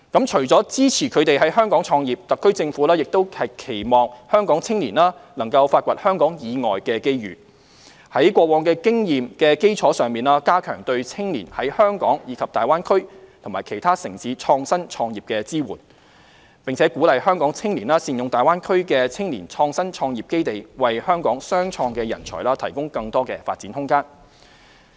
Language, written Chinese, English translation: Cantonese, 除了支持他們在香港創業，特區政府亦期望香港青年能發掘香港以外的機遇，在過往經驗的基礎上，加強對青年在香港及大灣區其他城市創新創業的支援，並鼓勵香港青年善用大灣區的青年創新創業基地，為香港雙創人才提供更多發展空間。, Apart from supporting young people in starting business in Hong Kong the SAR Government also hopes that they can explore opportunities outside Hong Kong . Based on past experience if we provide more support for youth innovation and entrepreneurship in Hong Kong and other cities in the Greater Bay Area and encourage young people of Hong Kong to make good use of the Shenzhen - Hong Kong Youth Innovation Entrepreneurship Base in the Greater Bay Area we can provide more space for development for innovation and entrepreneurship talents of Hong Kong